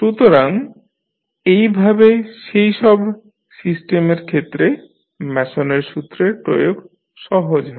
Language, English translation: Bengali, So, in this way the application of Mason’s rule is easier for those kind of systems